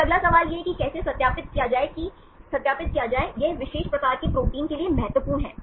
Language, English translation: Hindi, Then next question is how to verify, this is important for this particular type of proteins